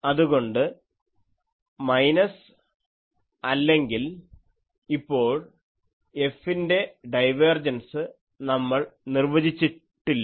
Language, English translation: Malayalam, So, minus or now, we have not defined the divergence of F